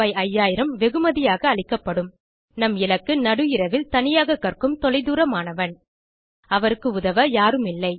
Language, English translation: Tamil, 5,000 also Our target audience is a remote child, working alone at midnight, without anyone to help her